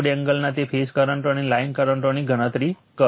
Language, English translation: Gujarati, Calculate that phase currents of the load angle and the line currents right